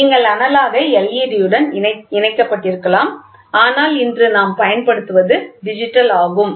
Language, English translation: Tamil, You can also have led attached with analogous, but today exhaustively what we use is digital